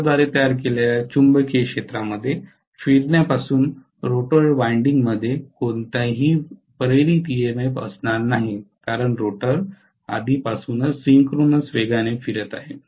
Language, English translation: Marathi, The rotor winding will not have any induced EMF whatsoever from you know rotating magnetic field created by the stator because the rotor is rotating already at synchronous speed